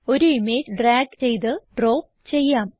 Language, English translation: Malayalam, Let us drag and drop an image